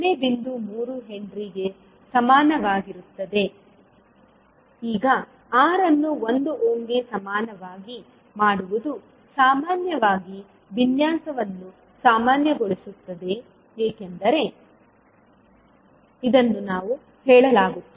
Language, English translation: Kannada, 3 henry, now making R equal to 1 ohm generally is said that it is normalizing the design